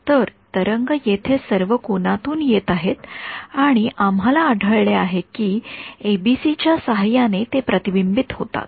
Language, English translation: Marathi, So, waves are coming at all angles over here and we are finding that with ABC’s they get reflected ok